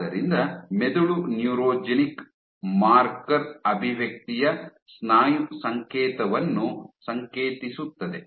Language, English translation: Kannada, So, the brain signal the muscle signal of neurogenic marker expression